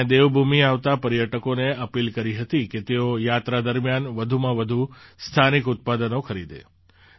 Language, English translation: Gujarati, I had appealed to the tourists coming to Devbhoomi to buy as many local products as possible during their visit